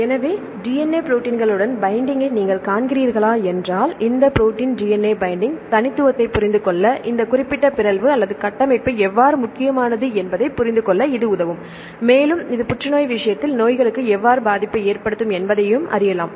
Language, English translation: Tamil, So, whether you see the DNA binding with the proteins and this will help you to understand how this specific mutation or the structure is important to understand the binding specificity of this protein DNA binding complexes as well as how this will effect to the diseases for example, in the case of cancer